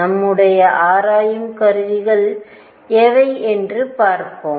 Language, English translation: Tamil, And let us see what are our investigation tools